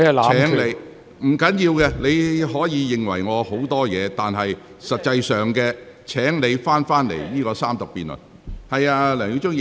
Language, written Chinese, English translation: Cantonese, 沒關係，你可以對我有許多意見，但現在請你返回這項辯論的議題。, It does not matter that you may have many opinions about me . Please return to the subject of this debate now